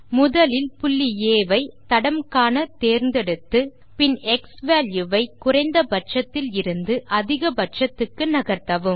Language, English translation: Tamil, First select point A thats what you want to trace and then move the xValue from minimum to maximum